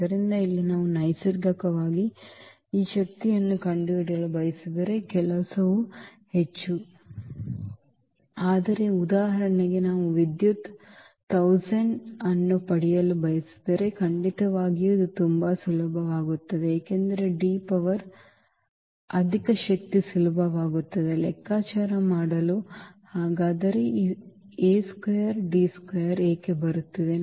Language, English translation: Kannada, So, here naturally the work is more if we just want to find out this power 2, but in case for example, we want to power to get the power 1000 then definitely this will be very very useful because D power higher power would be easier to compute